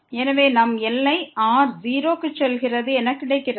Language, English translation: Tamil, So, we have limit goes to 0